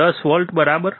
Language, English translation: Gujarati, 10 volts, right